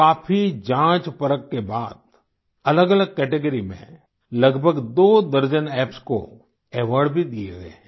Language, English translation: Hindi, After a lot of scrutiny, awards have been given to around two dozen Apps in different categories